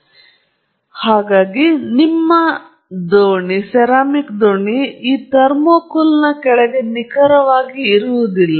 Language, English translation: Kannada, So, your boat may also not be positioned exactly below this thermocouple